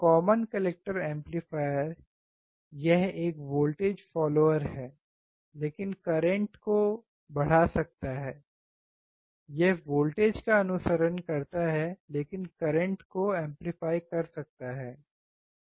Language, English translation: Hindi, Common collector amplifier, right, it is a voltage follower, but can increase the current is follows a voltage, but current is amplified, right